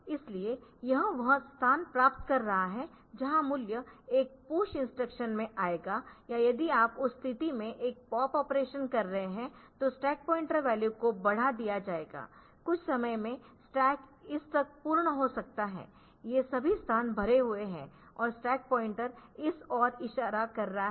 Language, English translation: Hindi, So, you will get it so it is accessing it will be getting this location where the value will come in a push instruction or if you are doing a pop operation in that case the stack pointer value will be implemented, say at some at some point of time may be the stack is full up to this much, all these locations are full and the stack pointer is pointing to this